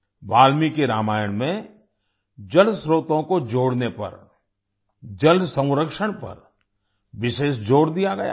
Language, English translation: Hindi, In Valmiki Ramayana, special emphasis has been laid on water conservation, on connecting water sources